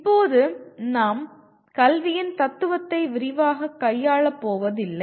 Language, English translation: Tamil, Now we are not going to deal with philosophy of education in detail